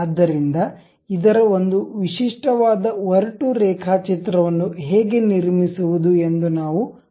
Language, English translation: Kannada, So, how to construct it a typical rough sketch, we are going to see